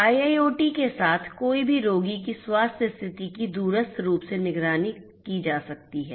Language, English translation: Hindi, With IIoT, one can monitor the patients health condition remotely